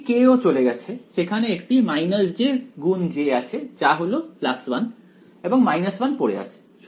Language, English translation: Bengali, One k has also gone right there is a minus j into j that is plus 1 and left with the minus 1